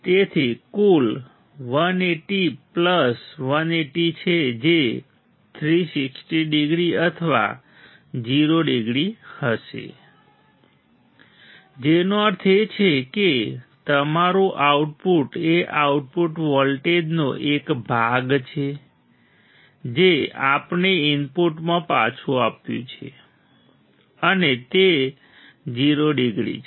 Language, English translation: Gujarati, So, the total is 180 plus 180 that will be 360 degree or 0 degree; which means, your output is part of the output voltage which we have fed back to the input and is 0 degrees